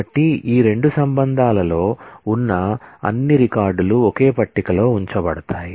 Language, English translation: Telugu, So, all records that exist in both these relations will be put together into a single table